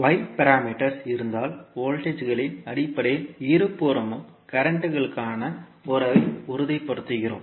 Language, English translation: Tamil, While in case of y parameters we stabilize the relationship for currents at both sides in terms of voltages